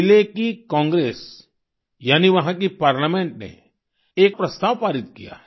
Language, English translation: Hindi, The Chilean Congress, that is their Parliament, has passed a proposal